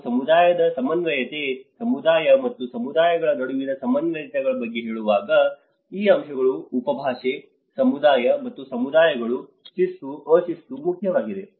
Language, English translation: Kannada, When we say about community coordination, the coordination between community and communities, there is a dialect of these aspects, community and communities, discipline, undisciplined